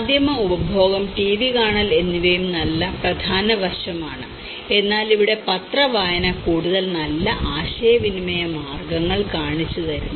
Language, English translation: Malayalam, And because media consumption, TV watching is also an important aspect but then here the newspaper reading have shown much more positive ways of communication